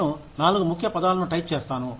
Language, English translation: Telugu, I type in four key words